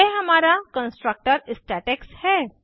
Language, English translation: Hindi, This is our constructor statex